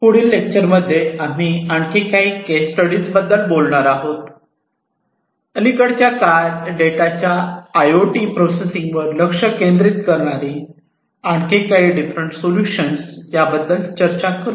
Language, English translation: Marathi, In the next lecture, we are going to talk about a few more case studies, a few more different solutions that have been proposed in recent times focusing on IIoT processing of data